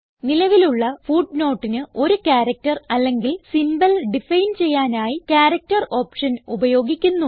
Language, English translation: Malayalam, The Character option is used to define a character or symbol for the current footnote